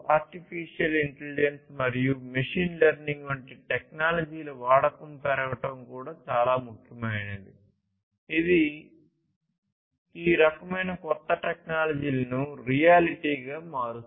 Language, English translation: Telugu, But what is very important also is the increase in the use of technologies such as artificial intelligence and machine learning, that is making these kind of newer technologies, a reality